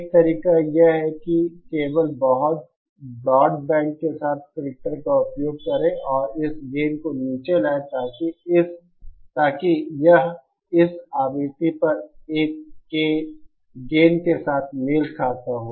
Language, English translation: Hindi, One way is to simply use the filter with a very broadband and bring this gain down, so that it matches with the gain of this one at this frequency